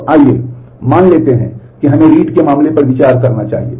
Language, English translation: Hindi, So, let us suppose that let us consider the case of read